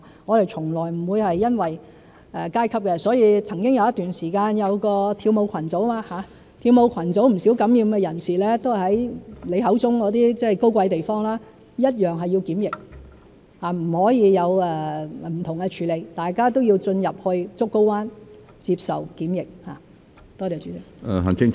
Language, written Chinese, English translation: Cantonese, 我們從來不會考慮階級，曾經有一段時間有一個跳舞群組，跳舞群組有不少受感染人士都是來自你口中的高貴地方，一樣須要檢疫，不可以有不同的處理，大家都要進入竹篙灣接受檢疫。, Some time ago there was the dance club cluster . Many infected persons of the dance club cluster came from what you call high - class places yet they were also subject to quarantine . There could not be any differentiated treatment and all of them were quarantined at Pennys Bay